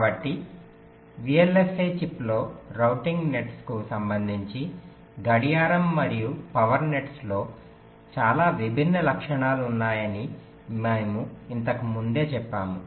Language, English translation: Telugu, so we mentioned earlier that with respect to routing nets on a vlsi chip, clock and the power nets have very distinct characteristics